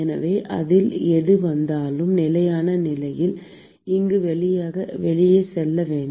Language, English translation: Tamil, So, whatever comes in it has to go out here at steady state condition